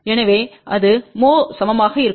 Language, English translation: Tamil, So, that will be equal to mho